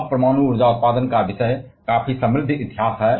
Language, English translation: Hindi, Now the topic of nuclear power generation has a quite rich history